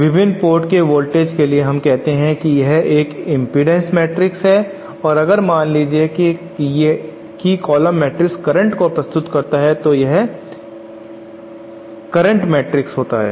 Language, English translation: Hindi, Suppose we have this column matrix for all the voltages at the various ports and say this is my impedance matrix and suppose this column matrix is the currents presents and the various ports then this matrix is my impedance matrix